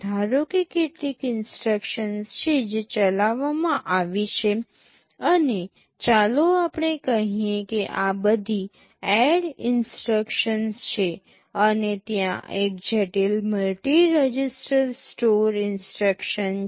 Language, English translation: Gujarati, Suppose, there are some instructions that are executed and let us say these are all ADD instructions, and there is one complex multi register store instruction